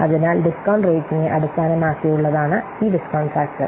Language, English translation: Malayalam, So, this discount factor is based on the discount rate